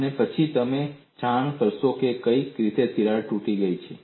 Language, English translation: Gujarati, And then, you would report which crack has broken